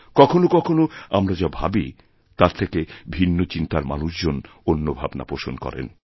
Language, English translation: Bengali, At times, people thinking differently from us also provide new ideas